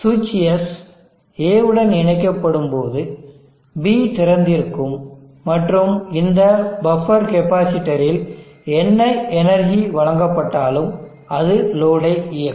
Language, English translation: Tamil, When switch S is connected to A, B is open and whatever energy is thrown in this buffer capacitor, will be driving the load